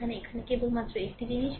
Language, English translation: Bengali, Here, actually only one thing is here